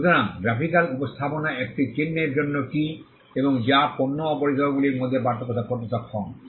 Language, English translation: Bengali, So, graphical representation is key for a mark and which is capable of distinguishing goods and services